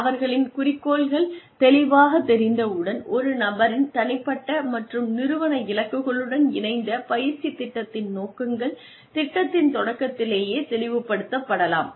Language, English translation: Tamil, Once their goals are clear, then the objectives of the training program, aligned with a person's personal and organizational goals, can be made clear, right in the beginning of the program